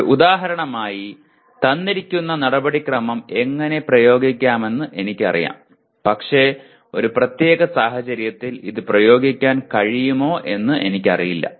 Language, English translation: Malayalam, An example is I know how to apply a given procedure but I do not know whether it can be applied in a given situation